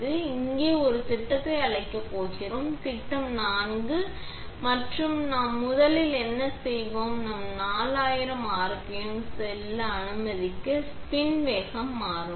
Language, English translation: Tamil, I am going to call up a program here; program four, and what we will first do is we will change the spin speed to let us say, 4000 rpm